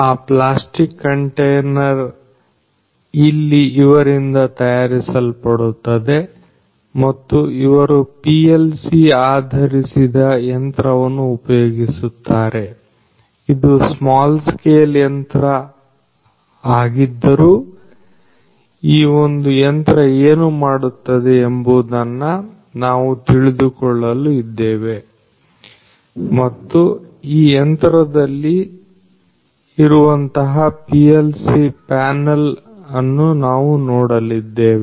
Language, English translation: Kannada, So, that plastic container is made over here by them and so, they use PLC based machine, it is a small scale machine, but you know so, we will come know about what this particular machine does and we will also have a look at you know the PLC panel that is there in this particular machine